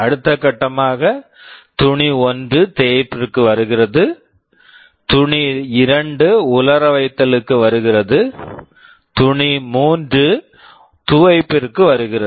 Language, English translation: Tamil, Next step, cloth 1 is coming for ironing, cloth 2 is coming for drying, cloth 3 for washing and so on